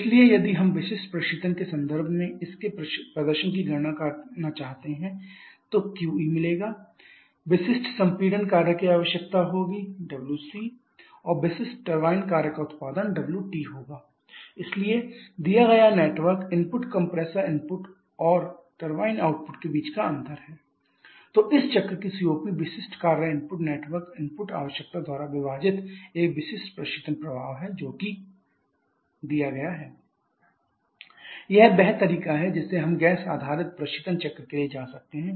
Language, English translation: Hindi, So, if we want to calculate the performance of this this Q dot E will be or okay if I write in per unit mass flow rate basis then specific refrigeration effect will be equal to h 1 h 4 specific compression work requirement will be equal to h 2 h 1 and specific turbine work output will be equal to h 3 – h 4 so network input given is the difference between the compressor input turbine out and the turbine output that is h 2 h 1 h 3 h 4 so COP of this cycle is a specific refrigeration effect by specific work input network input requirement which is h 1 h 4 by h 2 h 1 h 3 h 4